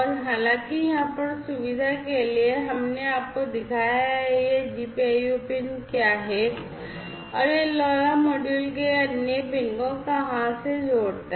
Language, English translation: Hindi, And however, for convenience over here we have shown you that what is this GPIO pin and where to which other pin of the LoRa module it connects, right